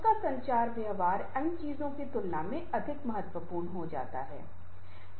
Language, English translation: Hindi, his or her communication behaviors become more important than other things